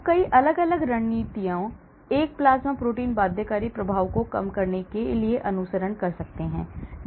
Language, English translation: Hindi, So, many different strategies one can follow to reduce the plasma protein binding effect